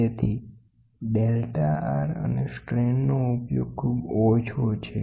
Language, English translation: Gujarati, So, the application of delta R and strain are very small